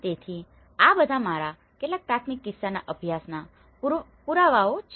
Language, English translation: Gujarati, So, these are all some of my primary case study you know evidences